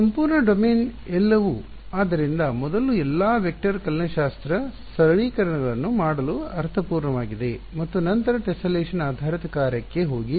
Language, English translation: Kannada, Whole domain everything so, it makes sense to do all of the vector calculus simplifications first and then go to tessellation basis function and so on